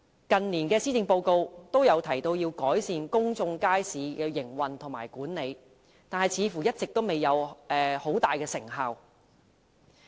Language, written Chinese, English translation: Cantonese, 近年的施政報告也有提及改善公眾街市的營運和管理，但似乎一直未有多大成效。, In the policy addresses of recent years enhancement of the operation and management of public markets was mentioned yet no obvious achievements have been made so far